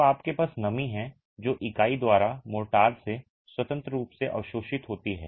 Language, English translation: Hindi, So, you have moisture that is freely absorbed by the unit from the motor